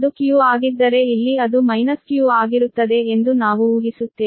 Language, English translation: Kannada, if it is q, then here it will be minus q